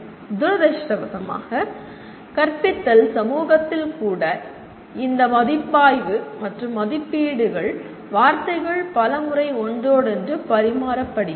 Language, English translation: Tamil, Unfortunately, even in the teaching community, the word assessment and evaluations many times are these words are interchanged